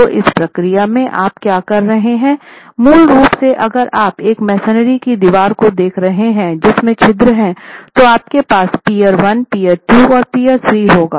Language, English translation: Hindi, So in this procedure what you are basically doing is if you are looking at a masonry wall which has perforations, you have peer one, peer two and peer three